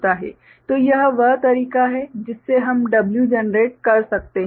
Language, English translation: Hindi, So, this is the way we can generate W